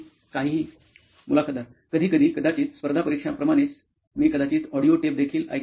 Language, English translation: Marathi, Also sometimes maybe like competitive exams, I used to listen to the audio tapes maybe